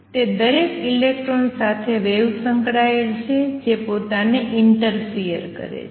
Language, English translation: Gujarati, So, the wave associated with a single electron interferes with itself